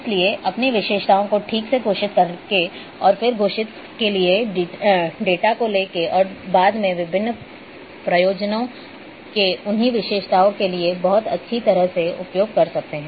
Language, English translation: Hindi, So, using a properly declaring your attributes and then bringing the data and later on you can use very well for different purposes